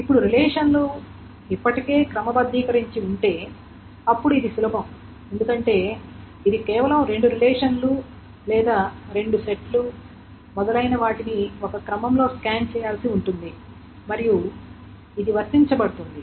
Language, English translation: Telugu, Now if the relations are sorted already, then this is easier because then it just needs to be scanned the two relations or the two sets, etc